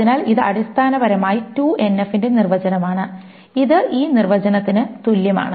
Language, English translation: Malayalam, So this is essentially the definition of 2NF and this is equivalent to this definition